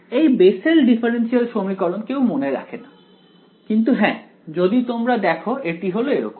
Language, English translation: Bengali, This Bessel differential equation no one will actually remember, but yeah I mean if you look it up this is what it is